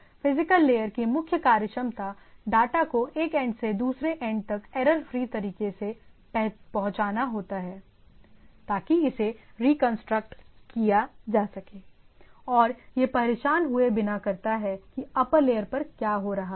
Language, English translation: Hindi, So, this is the one there is the functionality of the physical layer is to transmit to the other end in a error free manner, so that it can be reconstructed in the things right, and does it individually without bothering that where the upper layer things are doing